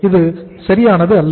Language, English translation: Tamil, This is not perfect